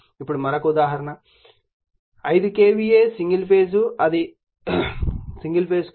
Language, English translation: Telugu, Now, another small example so, if 5 KVA, single phase it is 1 ∅